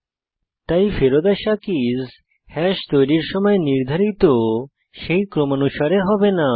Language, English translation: Bengali, So, keys returned will not be in the sequence defined at the time of creating hash